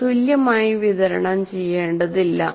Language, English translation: Malayalam, Or they need not be evenly distributed